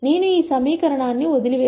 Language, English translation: Telugu, Let us assume I drop this equation out